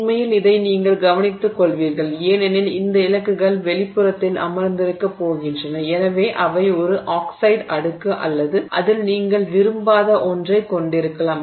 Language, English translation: Tamil, And in fact you will take care because these targets are going to be sitting outside and therefore they may have an oxide layer or something on it which you don't want